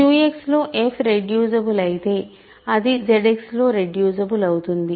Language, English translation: Telugu, If f is reducible in Q X then it is reducible in Z X